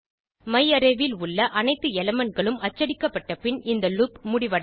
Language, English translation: Tamil, This loop will exit after printing all the elements in myarray